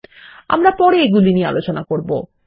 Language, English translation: Bengali, We will learn about these later